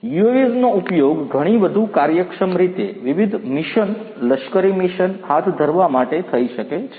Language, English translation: Gujarati, The UAVs could be used to carry out different missions military missions in a much more efficient manner